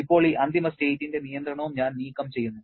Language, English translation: Malayalam, Now, I remove the restriction on this final state also